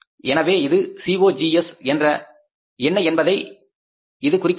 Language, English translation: Tamil, So, it means what is the COGS